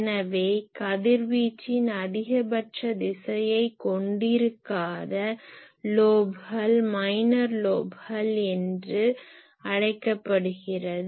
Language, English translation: Tamil, So, any lobe which is not containing the maximum direction of radiation is called minor lobe